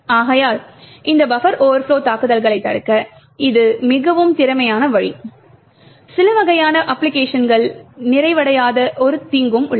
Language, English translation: Tamil, Therefore, why this is a very efficient way to prevent this buffer overflow attacks, there is also, a downside present the certain types of applications do not complete